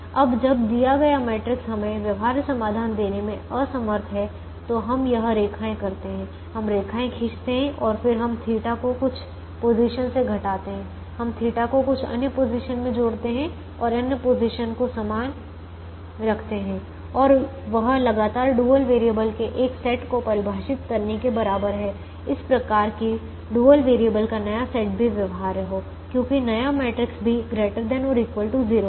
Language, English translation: Hindi, now, when the given matrix is unable to give us a feasible solution, we do this lines, we draw the lines and then we subtract theta from some positions, we add theta to some other positions and keep other positions the same, and that is equivalent to defining a new set of dual variables consistently, such that the new set of dual variables is also a feasible, because the new matrix is also greater than or equal to zero